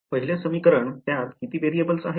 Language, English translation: Marathi, The 1st equation how many variables are in it